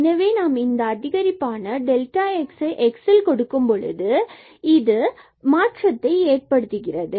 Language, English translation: Tamil, So, in this case we get now here this limit delta y over delta x